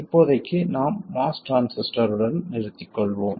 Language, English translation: Tamil, For now we will stick to the mouse transistor